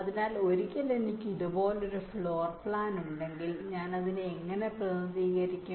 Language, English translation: Malayalam, so so, once i have a floorplan like this, how do i represent it